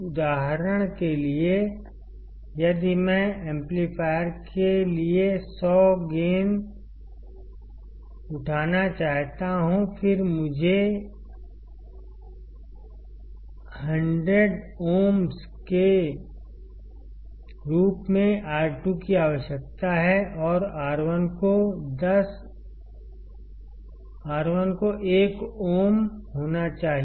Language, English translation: Hindi, For example, if I want to have a gain of 100 for the amplifier; then I need to have R2 as 100ohms, and R1 should be 1ohm